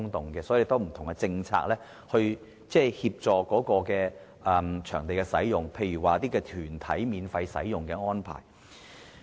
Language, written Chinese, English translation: Cantonese, 所以，要有不同政策以處理場地的使用，例如團體免費使用的安排。, We will need to formulate different policies to cope with this . For example arrangements should be in place to deal with the use of venues by some organizations free of charge